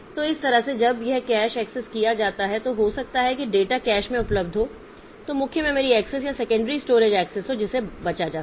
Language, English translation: Hindi, So, that way when this cache is accessed then the, maybe if the data is available in the cache, then the main memory access is the secondary storage access so that can be avoided